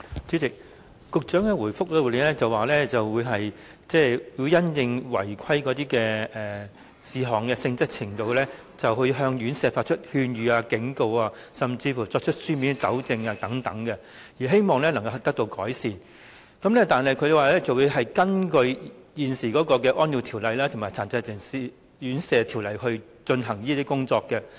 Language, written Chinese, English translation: Cantonese, 主席，局長在答覆中表示，會因應院舍違規事項的性質及嚴重程度，向院舍發出勸諭、警告或作出書面糾正指示，希望加以改善；局長亦表示會根據現時的《安老院條例》和《殘疾人士院舍條例》來進行有關工作。, President in the main reply the Secretary said that depending on the nature and severity of the irregularities the authorities will issue to the homes concerned advisory or warning letters or written directions requiring remedial measures to be taken in the hope that the services can be improved . The Secretary also said that they will handle the work concerned in accordance with the existing Residential Care Homes Ordinance and the Residential Care Homes Ordinance